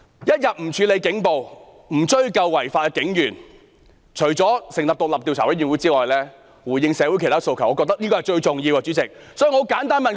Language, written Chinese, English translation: Cantonese, 一天不處理警暴，不追究違法的警員，除了成立獨立調查委員會之外，主席，我覺得要回應社會訴求，這是最重要的。, So long as police brutality is not dealt with and lawbreaking police officers are not made to account for it there is no way other than setting up an independent commission of inquiry . President I find it the most crucial point in responding to the demands of society